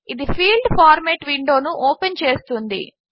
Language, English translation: Telugu, This opens the Field Format window